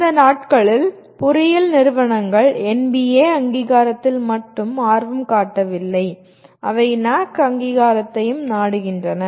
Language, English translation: Tamil, Because these days engineering institutions are not only interested in NBA accreditation, they are also seeking NAAC accreditation